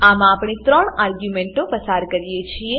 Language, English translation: Gujarati, In this we have passed three arguments